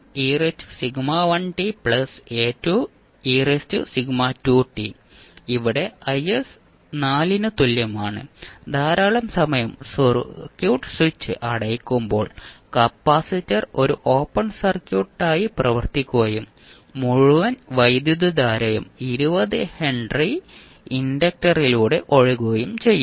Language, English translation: Malayalam, so here I s is equal to 4 this is what we can see from the figure when the circuit is the switch is closed for very long period the capacitor will be acting as a open circuit and the whole current will flow through 20 henry inductor